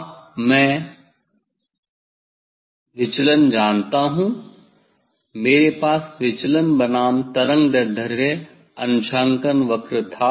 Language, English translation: Hindi, Now, I know the deviation now, I had the deviation verses wavelength calibration curve